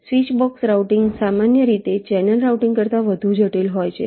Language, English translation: Gujarati, switchbox routing is typically more complex than channel routing and for a switchbox